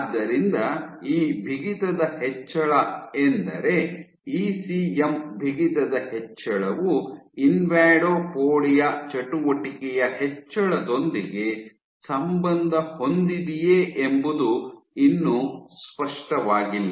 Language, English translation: Kannada, So, it remains unclear whether this increase in stiffness, you have increase in ECM stiffness, and this is correlated with increased in invadopodia activity